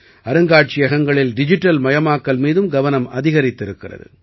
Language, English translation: Tamil, The focus has also increased on digitization in museums